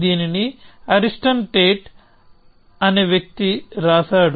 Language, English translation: Telugu, This was written by a guy called Ariston Tate